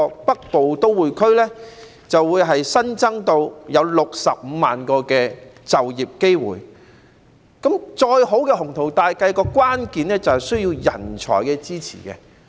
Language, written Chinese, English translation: Cantonese, 北部都會區將來會新增65萬個就業機會，再好的雄圖大計，關鍵在於人才支持。, While the development of the Northern Metropolis is expected to create 650 000 jobs the success of this excellent and ambitious plan hinges on the support of talents